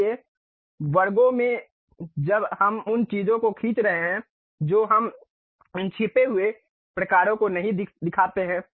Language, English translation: Hindi, So, at sections when we are really drawing the things we do not show these hidden kind of lines